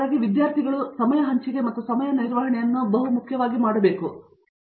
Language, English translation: Kannada, So, I think that kind of time sharing and time management among students is very important